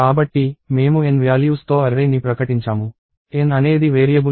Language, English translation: Telugu, So, we have declared the array with values of n; n is not a variable